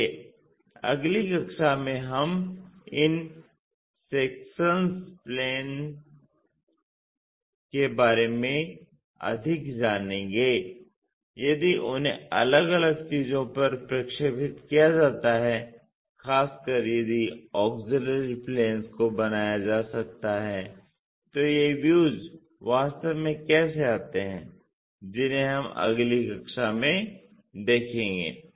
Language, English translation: Hindi, So, in the next class we will learn more about these sectionsplanes if they are projected onto different things especially if auxiliary planes can be constructed how these views really comes in that is we will see in the next class